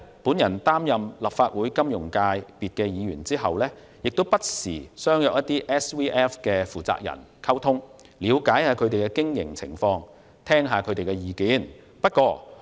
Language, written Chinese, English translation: Cantonese, 我擔任立法會金融界別的議員後，不時與一些 SVF 的負責人見面溝通，了解他們的經營情況，並聽取他們的意見。, After I have become a Legislative Council Member representing the Finance FC I have met and communicated with the persons - in - charge of SVFs from time to time to find out more about their operation and listen to their views